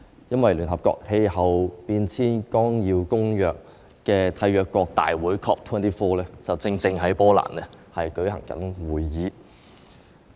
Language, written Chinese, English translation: Cantonese, 因為聯合國氣候變化綱要公約締約國大會正在波蘭舉行會議。, The reason is that the 24 Conference of the Parties to the United Nations Framework Convention on Climate Change COP 24 is now being held in Poland